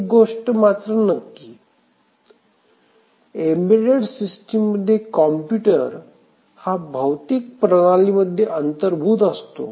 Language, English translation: Marathi, So, one thing is that in the embedded system the computer is embedded in the physical system